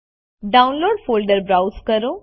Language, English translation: Gujarati, Browse to Downloads folder